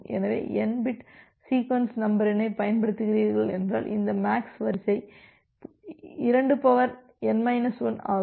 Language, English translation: Tamil, So, if you are using say n bit sequence number then this MAX sequence is 2 to the power n minus 1